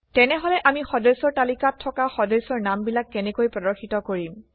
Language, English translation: Assamese, So how do we display member names, which are in the members table